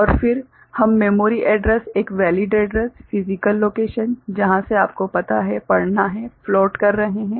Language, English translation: Hindi, And, then we are floating the memory address, a valid address, the physical location from which it has to be you know, read – right